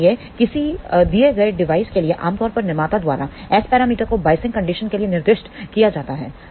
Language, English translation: Hindi, So, for a given device generally speaking S parameters are specified for given biasing condition by the manufacturer